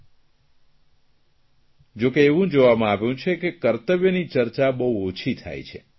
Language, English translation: Gujarati, But it is seen that duties are hardly discussed